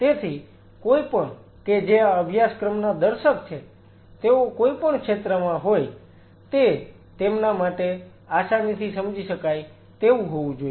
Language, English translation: Gujarati, So, that anybody who is the viewer of this course, what is ever field they are, it should be tangible to them